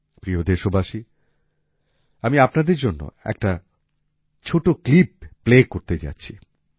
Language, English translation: Bengali, Dear countrymen, I am going to play a small clip for you…